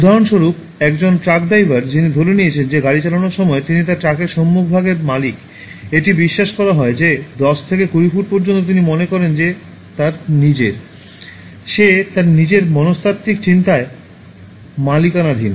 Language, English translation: Bengali, Take for instance, a truck driver who assumes that while driving he owns the front area of his truck, it is believed that up to 10 to 20 feet he thinks that he is owning in his mind, in his psychological thinking